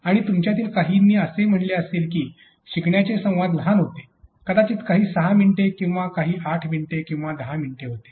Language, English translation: Marathi, And some of you might have said that the learning dialogues were shorter probably some had 6 minutes or some 8 say minutes or 10 minutes